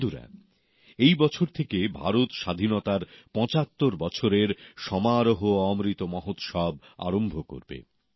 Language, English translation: Bengali, this year, India is going to commence the celebration of 75 years of her Independence Amrit Mahotsav